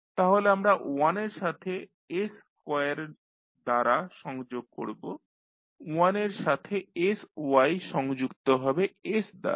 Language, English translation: Bengali, So, we will connect with 1 by s square will connected to sy with 1 by s